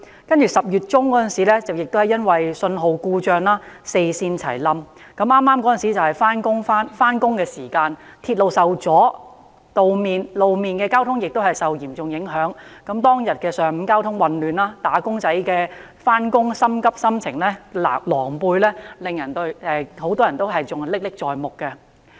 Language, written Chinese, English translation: Cantonese, 接着10月中，由於發生信號故障，導致四線全面故障，當時剛好是上班時間，鐵路受阻也導致路面交通受到嚴重影響，當天上午的交通混亂、"打工仔"焦急上班的狼狽心情，很多人仍然歷歷在目。, And then in October a signalling failure resulted in a total breakdown of four railway lines during morning rush hours . The railway disruption in turn affected road traffic causing traffic chaos in that whole morning . Many people can still vividly remember how awkward they on their way to work